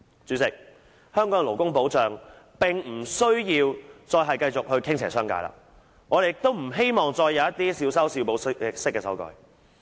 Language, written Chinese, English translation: Cantonese, 主席，香港的勞工保障並不需要繼續傾斜商界，我們亦不希望再有一些小修小補式的修改。, President the labour protection in Hong Kong has no reason to be tilted to the business sector and we do not wish to see more amendments of minor patch - ups in nature